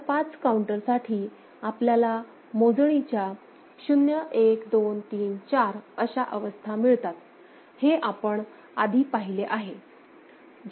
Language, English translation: Marathi, Similarly, for mod 5 counter, we have the states counting states 0 1 2 3 4 in our, in that circuit that you have seen